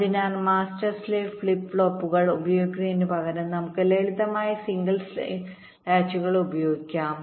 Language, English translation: Malayalam, so instead of using the master slave flip flops, we can use simple single stage latches